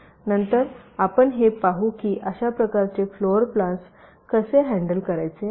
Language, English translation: Marathi, so we shall see later that how to handle this kind of floorplan, right